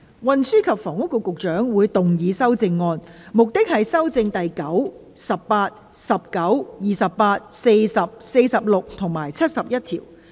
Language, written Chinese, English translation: Cantonese, 運輸及房屋局局長會動議修正案，旨在修正第9、18、19、28、40、46及71條。, The Secretary for Transport and Housing will move amendments which seek to amend clauses 9 18 19 28 40 46 and 71